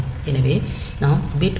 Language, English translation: Tamil, So, we can set bit 1